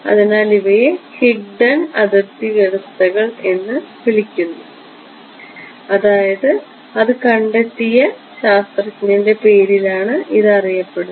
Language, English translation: Malayalam, So, these are called Higdon boundary conditions named after the scientist who ok